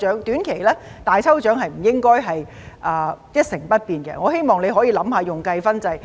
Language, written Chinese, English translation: Cantonese, 短期而言，"大抽獎"是不應該一成不變的，我希望你可以用計分制。, I also agree that the mere reliance on lucky draws In the short term these lucky draws should not remain unchanged